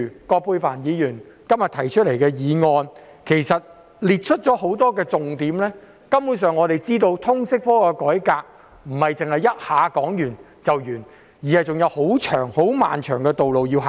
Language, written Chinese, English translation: Cantonese, 葛珮帆議員今天提出的議案指出了多個重點，我們由此可知，通識科的改革並非一下子可以完成，還有很長的路要走。, The motion proposed by Ms Elizabeth QUAT today has highlighted a number of key points we can see that reform of the subject cannot be completed overnight and there is still a long way to go